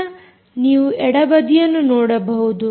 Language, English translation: Kannada, so you can see on the left side of ah